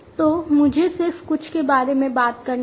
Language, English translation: Hindi, So, let me just talk about some